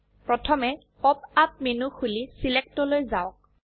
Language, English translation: Assamese, First open the pop up menu and go to Select